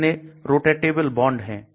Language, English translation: Hindi, How many rotatable bonds